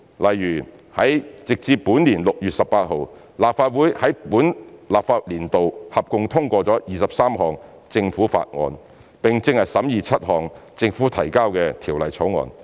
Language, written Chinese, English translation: Cantonese, 例如，直至本年6月18日，立法會在本立法年度合共通過了23項政府法案，並正在審議7項政府提交的條例草案。, For example up to 18 June this year a total of 23 government bills were passed by the Legislative Council in the current legislative session and the Legislative Council is scrutinizing 7 bills introduced by the Government